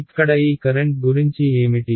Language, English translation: Telugu, What about this current over here